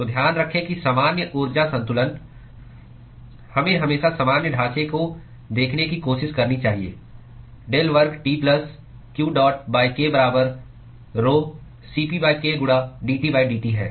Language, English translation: Hindi, So, keep in mind that the general energy balance we should always try to sort of look at the general framework with del square T plus q dot by k equal to rho c p by k into dT by dt